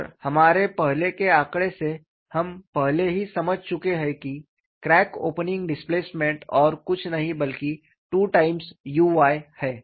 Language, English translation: Hindi, And from our earlier figure, we have already understood that the crack opening displacement is nothing but 2 times u y